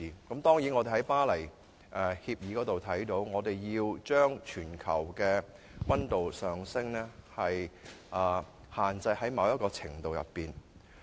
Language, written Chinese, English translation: Cantonese, 根據《巴黎協定》所訂，我們必須將全球的溫度上升限制於某一程度內。, Under the Paris Agreement the global temperature rise must be contained within a certain limit